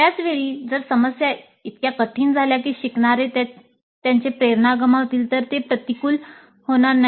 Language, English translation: Marathi, At the same time if the problems become so difficult that learners lose their motivation then it will become counterproductive